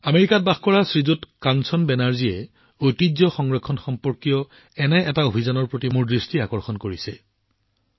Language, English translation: Assamese, Shriman Kanchan Banerjee, who lives in America, has drawn my attention to one such campaign related to the preservation of heritage